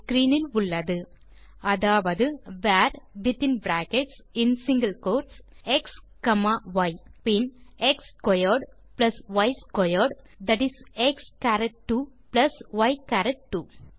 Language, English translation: Tamil, that is var within brackets and single quotes x,y then x squared plus y squared that is x charat 2 plus y charat 2